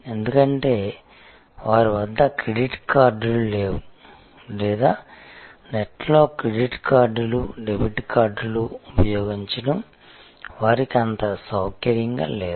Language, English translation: Telugu, Because, either they did not have credit cards or they were not very comfortable to use credit cards, debit cards on the net